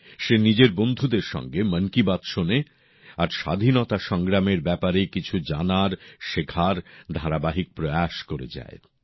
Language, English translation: Bengali, He listens to Mann Ki Baat with his friends and is continuously trying to know and learn more about the Freedom Struggle